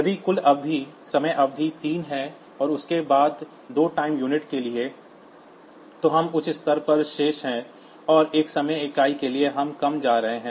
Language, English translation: Hindi, If the total time period is say 3 and then out of that for two time unit, so we are remaining at for two time unit we are remaining at high; and for one time unit we are going to low